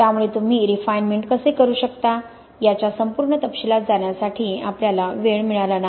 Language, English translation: Marathi, So we have not got time to really go into the full detail of how you can do refinement